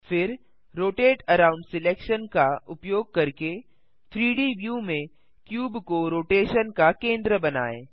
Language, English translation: Hindi, Then, using Rotate around selection, make the cube the centre of rotation in the 3D view